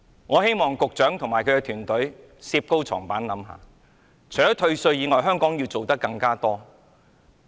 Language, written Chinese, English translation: Cantonese, 我希望局長和他的團隊能好好反省，除退稅外，香港要做得更多。, I do hope the Secretary and his team can reflect upon their efforts . Apart from enhancing tax deductions there is a lot more that Hong Kong has to do